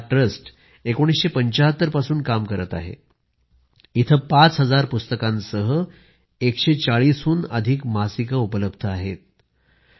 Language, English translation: Marathi, This trust has been working since 1975 and provides 140 magazines, along with 5000 books